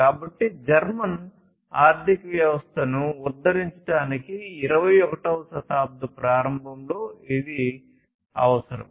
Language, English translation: Telugu, So, it was required in that early 21st century to uplift the German economy